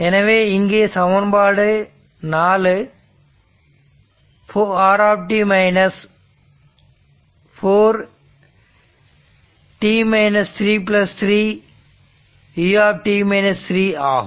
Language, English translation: Tamil, This equal to you can write this is 4 r t, 4 r t as it is